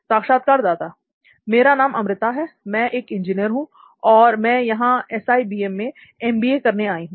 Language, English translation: Hindi, Okay, my name is Amruta and I am an engineer and now I am here in SIBM to do my MBA